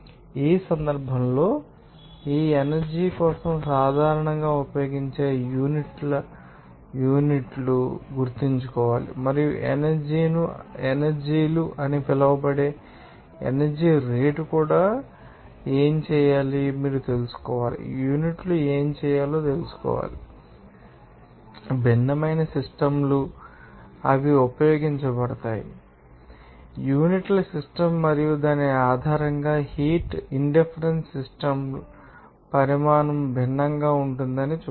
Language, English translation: Telugu, In this case, you have to remember what are the units generally being used for these energy and also the rate of energy which is called power what will do what should be the units that also to be you know are required to know, because, different systems are you know they are to be used or to be you know that access based on this you know, system of units and based on which you will see that quantity of the heat indifferent systems will be different